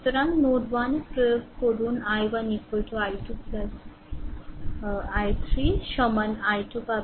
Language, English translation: Bengali, So, so at node 1 you apply you will get i 1 is equal to i 2 plus i 3, i 1 is equal I 2